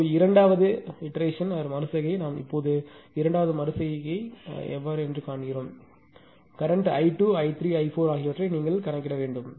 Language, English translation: Tamil, Now, second iteration we will now seeing second iteration we have to compute the your what you call that load current ah small i 2, small i 3 and small i 4